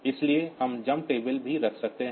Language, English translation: Hindi, So, we can have also jump table